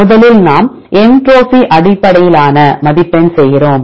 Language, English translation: Tamil, So, for first we do the entropy based score